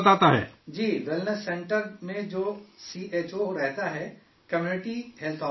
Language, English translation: Urdu, Yes, the CHO who lives in the Wellness Center, Community Health Officer